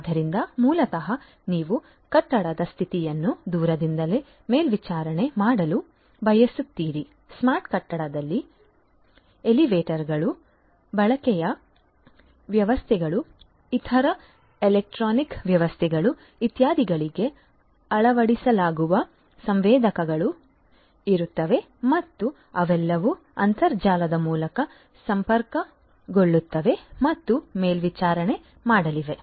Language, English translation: Kannada, So, basically you want to monitor the condition of the building remotely you know in a smart building there would be sensors that would be fitted to elevators, lighting systems, other electronic systems, etcetera and they are all going to be connected and monitored through the internet